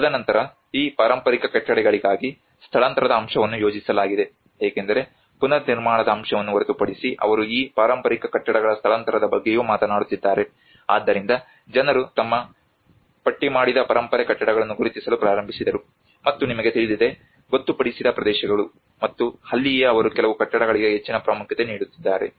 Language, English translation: Kannada, And then there is a relocation aspect which has been planned out for these heritage buildings because apart from the reconstruction aspect they are also talking about the relocation of these heritage buildings so then that is where people started recognizing their listed heritage buildings, and you know the designated areas, and that is where probably they are claiming some more importance to certain buildings